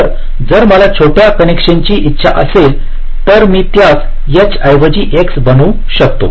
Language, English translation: Marathi, so so if i want shorter connection, i can make it as an x instead of a h